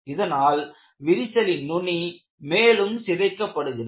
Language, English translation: Tamil, Thereby, allowing the crack tip to corrode further